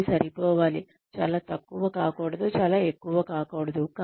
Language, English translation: Telugu, It has to be enough, not very little, not too much